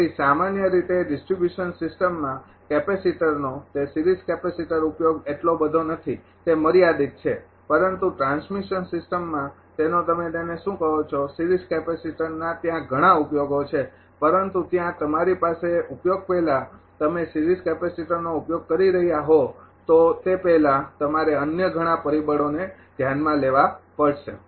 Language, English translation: Gujarati, So, generally ah as it is application of capacitor that series capacitors ah used in distribution system is not much it is restricted, but in transmission system that ah your what you call that many applications of series capacitors are there, but there you have before appli[cation] before ah you are using series capacitor you have to consider many other other factors also